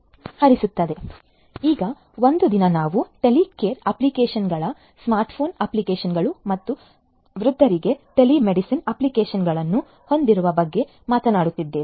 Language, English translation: Kannada, So, now a days, we are talking about having Telecare applications, smart phone applications, telemedicine applications for elderly people